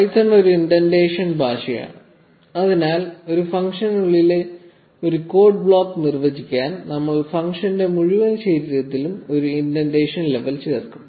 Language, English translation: Malayalam, Now python is an indentation base language, so to define a code block within a function, we will add an indentation level to the entire body of the function